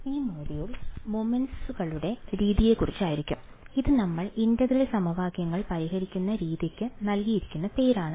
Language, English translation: Malayalam, So this module is going to be about the method of moments which is the name given to the way in which we solve the integral equations